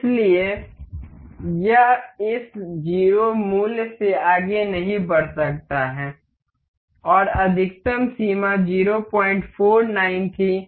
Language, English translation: Hindi, So, it cannot move beyond this 0 value and maximum limit was 0